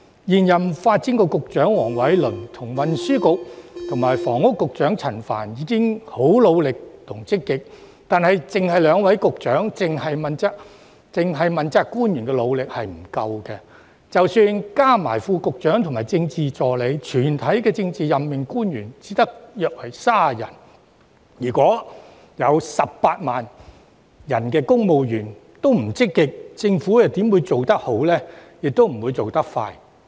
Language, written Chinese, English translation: Cantonese, 現任發展局局長黃偉綸和運輸及房屋局局長陳帆已經十分努力及積極，但單靠兩位局長和問責官員努力是不足夠的；即使加上副局長及政治助理，全體政治任命官員亦只有約30人；如果18萬名公務員欠積極，政府又如何能做得好呢，也不會做得快。, Although the incumbent Secretary for Development Mr Michael WONG and the Secretary for Transport and Housing Mr Frank CHAN are already very hardworking and positive the hard work of merely these two Secretaries is still insufficient . Even if the efforts of Under Secretaries and Political Assistants are added there are only about 30 politically appointed officials in the whole team . If 180 000 civil servants are not proactive how can the Government do better and act quicker?